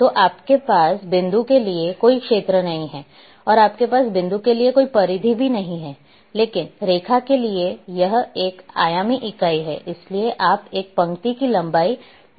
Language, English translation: Hindi, So, you do not have an area for point and you do not have any perimeter for the point, but for the line it is the one dimensional entity therefore you can measure the length of a line